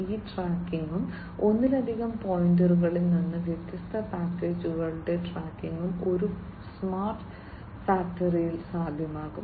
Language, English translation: Malayalam, So, all these tracking, and from multiple points tracking of these different packages would be possible in a smart factory